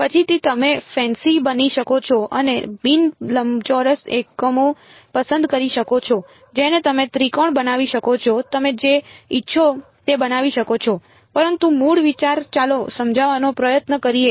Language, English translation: Gujarati, Later on you can go become fancy and choose non rectangular units you can make triangles you can make whatever you want, but the basic idea let us try to understand